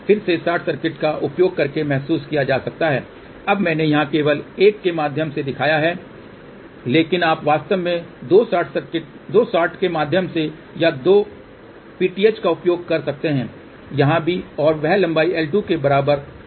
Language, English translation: Hindi, Again short circuit can be realized using a via now I have shown here only single via, but you can actually use even two shorted via or two PTH here also and that length will be nothing but equal to l 2